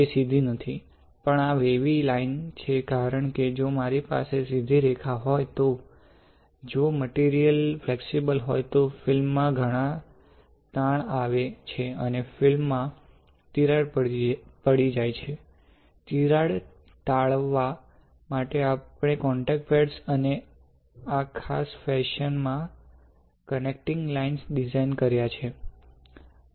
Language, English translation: Gujarati, Because if I have a straight line, if I the since the material is flexible then there would be a lot of stress in the film and film will get cracked, to avoid crack we have designed the contact pads and the connecting lines in this particular fashion